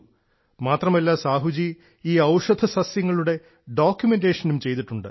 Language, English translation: Malayalam, Not only this, Sahu ji has also carried out documentation of these medicinal plants